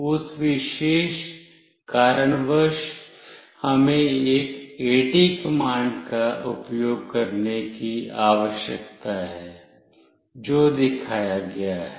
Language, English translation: Hindi, For that particular reason, we need to use an AT command, which goes like as shown